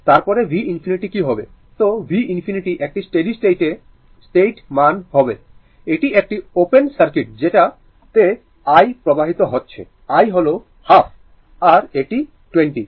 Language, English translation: Bengali, Then, what is v infinity, then v infinity will be that is a steady state value, this is open circuit this I is flowing this i is half and it is 20